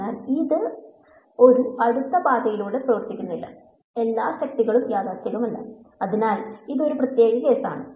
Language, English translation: Malayalam, So, it does no work over a close path not all forces are conservative; so, this is a special case